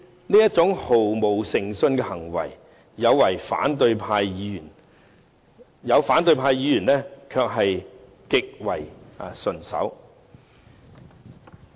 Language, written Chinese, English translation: Cantonese, 這種毫無誠信的行為，部分反對派議員卻做得極為順手。, In fact certain opposition Members can unreservedly commit this sort of deceitful behaviour at ease